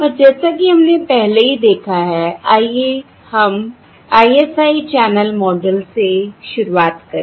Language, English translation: Hindi, And, as weíve already seen, let us begin with the ISI channel model